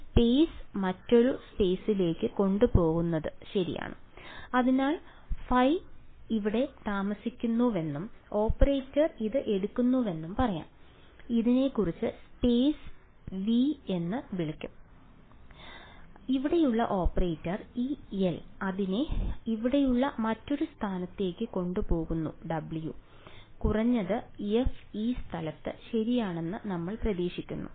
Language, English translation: Malayalam, Is going to take one space to another space alright; so I can say that say phi lives over here and the operator takes it let us say call this some space V and the operator over here this L takes it to another space over here f W, at least we hope that f is in this space right